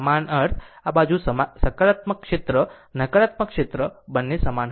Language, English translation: Gujarati, Identical means, this side positive area negative area both will be same right